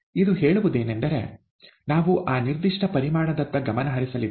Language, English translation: Kannada, All it says is that we are going to concentrate on that particular volume